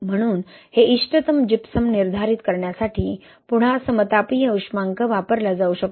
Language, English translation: Marathi, So, again isothermal calorimetry can be used to determine this optimal Gypsum